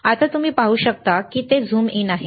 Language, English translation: Marathi, now you can see it is zoom in